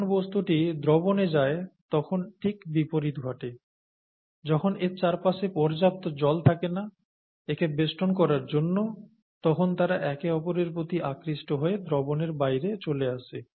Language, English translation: Bengali, The reverse happens when the substance goes into solution, and when there is not enough water surrounding it, and they attract each other, then it falls out of solution